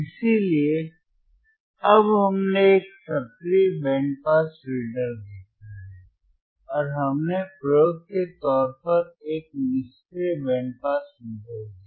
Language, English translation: Hindi, So now what we have seen, we have seen an active band pass filter and we have seen a passive band pass filter as an experiment